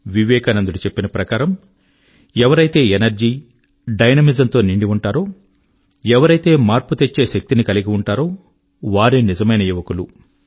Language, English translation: Telugu, According to Vivekanand ji, young people are the one's full of energy and dynamism, possessing the power to usher in change